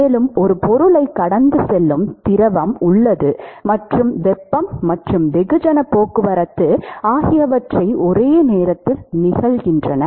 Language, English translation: Tamil, And there is a fluid which is flowing past an object and there is heat and mass transport which is occurring simultaneously